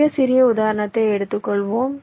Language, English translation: Tamil, so lets take an example illustration